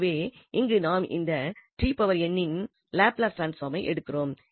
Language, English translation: Tamil, And now we will focus on Laplace transform again